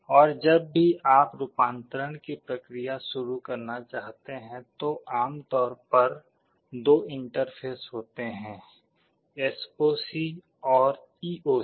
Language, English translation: Hindi, And whenever you want to start the process of conversion, there are typically two interfaces, SOC and EOC